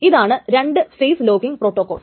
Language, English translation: Malayalam, So that is the strict two phase locking protocol